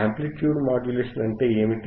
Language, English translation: Telugu, What are amplitude modulations